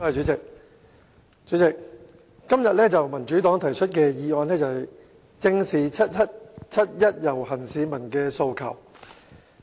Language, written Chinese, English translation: Cantonese, 代理主席，今天民主黨提出的議案是"正視七一遊行市民的訴求"。, Deputy President the motion moved by the Democratic Party today is Facing up to the aspirations of the people participating in the 1 July march